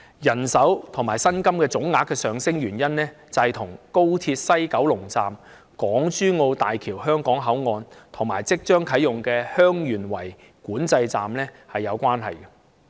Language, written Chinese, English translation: Cantonese, 人手和薪金總額上升的原因，與廣深港高速鐵路香港段西九龍站、港珠澳大橋香港口岸，以及即將啟用的蓮塘/香園圍口岸有關。, The cause of the increase in manpower and total amount of remunerations is related to the West Kowloon Station of the Hong Kong Section of the Guangzhou - Shenzhen - Hong Kong Express Rail Link XRL Hong Kong Port of the Hong Kong - Zhuhai - Macao Bridge HZMB and the forthcoming commissioning of LiantangHeung Yuen Wai Boundary Control Point